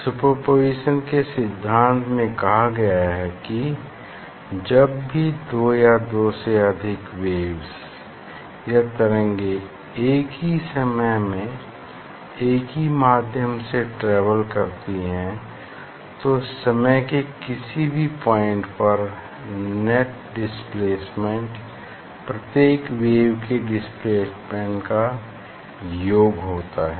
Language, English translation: Hindi, principle of superposition states that whenever two or more waves travelling through the same medium at the same time, the net displacement at any point in space of time, is simply the sum of the individual wave displacement